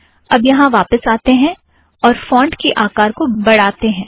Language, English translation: Hindi, Now lets go back here and make the font slightly bigger